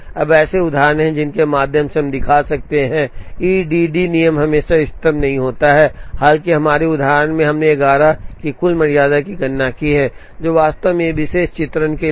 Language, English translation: Hindi, Now, there are examples, through which we can show that the E D D rule is not always optimum, though in our example, we have calculated a total tardiness of 11, which actually turns out to be optimum for this particular illustration